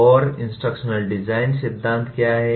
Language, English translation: Hindi, And what is instructional design theory